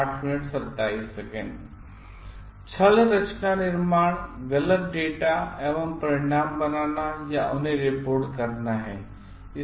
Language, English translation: Hindi, Fabrication is making up data or results or reporting them